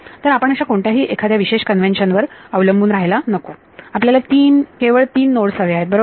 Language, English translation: Marathi, So, we should not count or dependent on any particular convention, we just want the three nodes right